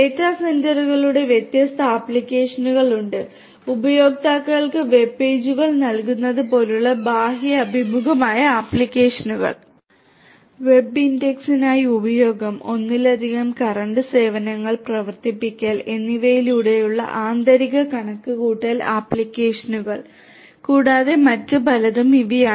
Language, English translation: Malayalam, There are different applications of data centres, sub serving outward facing applications such as serving web pages to users, through internal computational applications such as use of MapReduce for web indexing, through running multiple current concurrent services and many many more these are some of these different applications of data centre and data centre networks